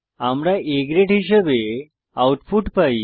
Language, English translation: Bengali, So the output will be displayed as A Grade